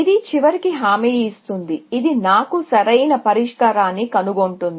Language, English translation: Telugu, It will guarantee eventually, it will find me the optimal solution